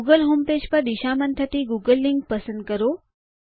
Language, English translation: Gujarati, Choose the google link to be directed back to the google homepage